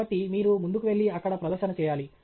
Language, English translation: Telugu, So, you should go ahead and make a presentation there